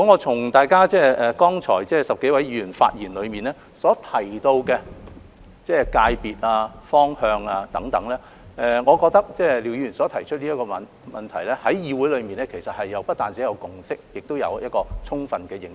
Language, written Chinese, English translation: Cantonese, 從剛才10多位議員發言內所提及的界別和方向等，我認為廖議員提出的問題在議會內不單有共識，亦有充分的認識。, Judging from the sectors and directions mentioned by the 10 - odd Members in their speeches just now I think that the Council has not only forged a consensus on the issues raised by Mr LIAO but has also indicated a good understanding of them